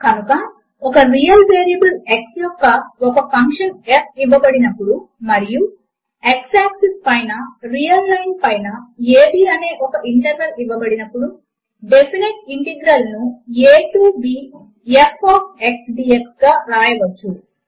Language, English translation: Telugu, So, given a function f of a real variable x and an interval a, b of the real line on the x axis, the definite integral is written as Integral from a to b f of x dx